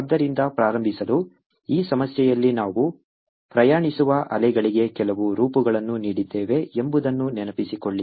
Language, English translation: Kannada, so to start with, in this problem, recall that we had given certain forms for waves which are traveling